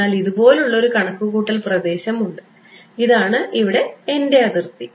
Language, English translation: Malayalam, So, there is that is a computational domain like this and this is my boundary over here ok